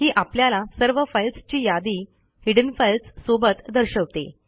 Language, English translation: Marathi, This shows all the files including the hidden files